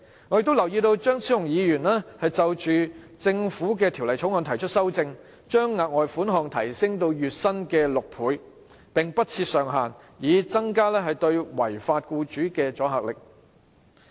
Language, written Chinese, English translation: Cantonese, 我亦留意到張超雄議員就《條例草案》提出修正案，建議將額外款項提升至月薪6倍，並不設上限，以增加對違法僱主的阻嚇力。, Also I notice that Dr Fernando CHEUNG proposed amendments to the Bill to increase the further sum to six times the employees average monthly wages with the ceiling removed so as to enhance the deterrent effect on law - breaking employers